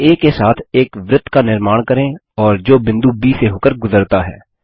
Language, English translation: Hindi, Lets construct a circle with center A and which passes through point B